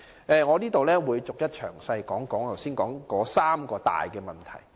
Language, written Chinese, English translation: Cantonese, 以下我會逐一詳細談論剛才提到的三大問題。, Next I am going to talk about the three major problems I mentioned just now in detail